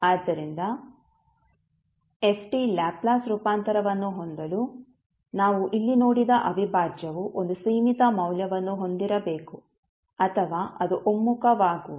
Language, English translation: Kannada, So, in order for ft to have a Laplace transform, the integration, the integral what we saw here should be having a finite value or it will converge